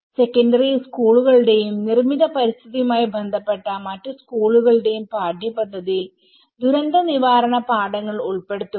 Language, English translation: Malayalam, Incorporating the disaster management lessons in the curriculum of secondary schools and other schools that deal with the built environment